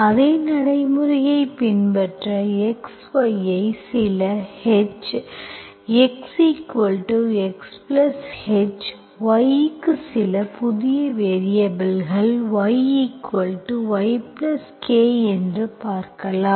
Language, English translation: Tamil, So you follow the same procedure, you look for x, y as new variables for some H, y as some new variable y plus K